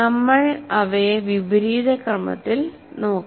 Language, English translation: Malayalam, So we'll look at them in the reverse order